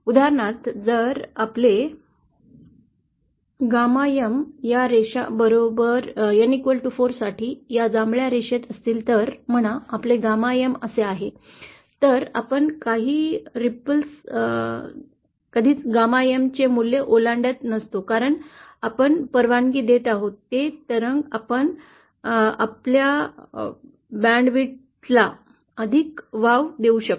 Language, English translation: Marathi, For example say if our gamma M is along this line for N equal to 4, this purple line, say our gamma M is like this, then because we are allowing some ripples never of course crossing the value of gamma M, because we are allowing these ripples we can give more allowance to our band width